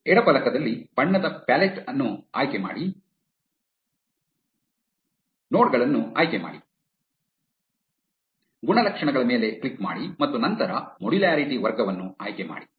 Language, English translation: Kannada, In the left panel choose the color pallet, select nodes, click on attributes and then select modularity class